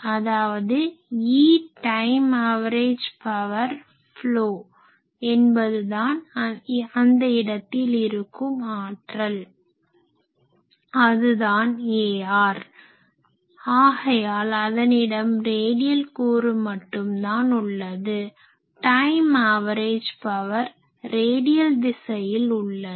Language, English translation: Tamil, So, that only given E time average power flow that is only local power there; So, that is nothing, but only a r so, it has only a radial component that means, time average power is flowing only in the radial direction